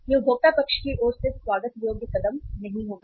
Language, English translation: Hindi, It will not be a welcome step from the consumer side